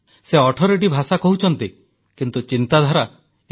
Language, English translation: Odia, She speaks 18 languages, but thinks as one